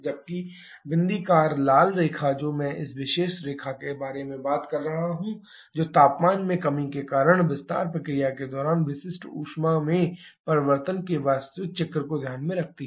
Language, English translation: Hindi, Whereas the dotted red line that is I am talking about this particular line that takes into consideration the actual cycle for change in specific heat during the expansion process because of the reduction in temperature